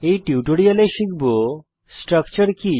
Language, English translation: Bengali, In this tutorial we learned, Structure